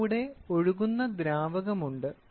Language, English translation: Malayalam, So, there is of fluid which is flowing